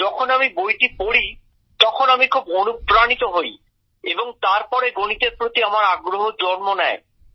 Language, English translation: Bengali, When I read that, I was very inspired and then my interest was awakened in Mathematics